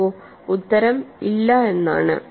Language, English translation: Malayalam, See, the answer is no